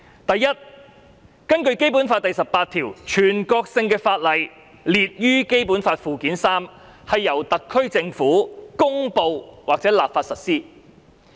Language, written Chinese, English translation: Cantonese, 第一，根據《基本法》第十八條，凡列於《基本法》附件三的全國性法律，由特區政府公布或立法實施。, Firstly according to Article 18 of the Basic Law all national laws listed in Annex III to the Basic Law shall be implemented by way of promulgation or legislation by the SAR Government